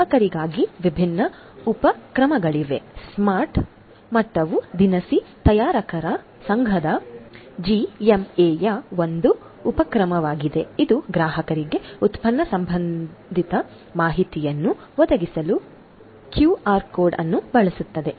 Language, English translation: Kannada, For the consumer there are different initiatives smart level is an initiative by the Grocery Manufacturers Association GMA, which uses your quote to provide product related information to the consumers